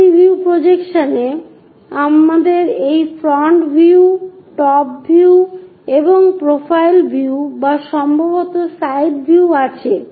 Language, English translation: Bengali, In multi view projections, we have these front view, top view and profile view or perhaps side views